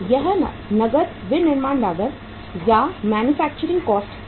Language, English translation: Hindi, This is the cash manufacturing cost